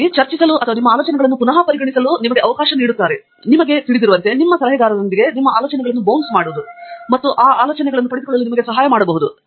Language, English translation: Kannada, So, of course, this gives you an opportunity to discuss, to consider your ideas again, and maybe, you know, bounce your ideas of with your advisor and so on, and that may help you gain that experience